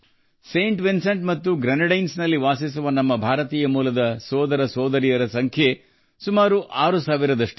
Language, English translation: Kannada, The number of our brothers and sisters of Indian origin living in Saint Vincent and the Grenadines is also around six thousand